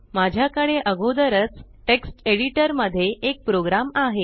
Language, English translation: Marathi, I already have a program in the Text editor